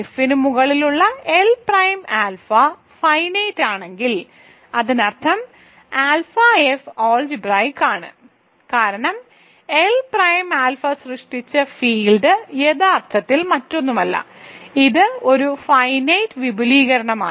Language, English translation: Malayalam, So, if L prime alpha over F is finite; that means, alpha is algebraic over F right, because the field generated by and L prime alpha is actually nothing but yeah, so it is a finite extension, so it is algebraic over F